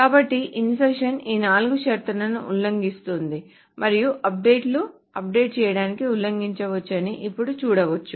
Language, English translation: Telugu, So the insertion violates all these four conditions conditions and if we now go to what the updates, updating can violate